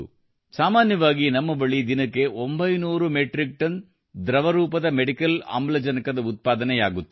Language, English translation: Kannada, You can guess for yourself, in normal circumstances we used to produce 900 Metric Tonnes of liquid medical oxygen in a day